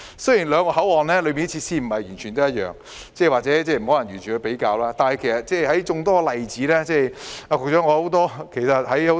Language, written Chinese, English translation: Cantonese, 雖然兩個口岸的設施並非完全一樣，或許並不可以完全作比較，但這只是眾多例子之一。, Although we cannot compare the two control points as their facilities are not exactly the same this is just one of the examples